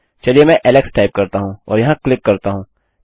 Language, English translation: Hindi, There is no question mark Let me type alex and click here